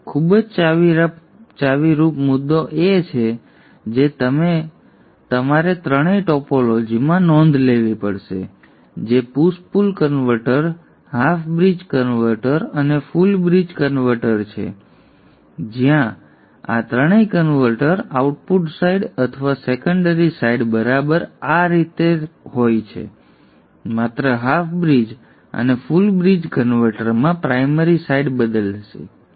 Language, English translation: Gujarati, This is a very key point which you have to note in all the three topologies which is the push pull converter, the half bridge converter and the full bridge converter where in all these three converters the output side or the secondary side is exactly like this, exactly similar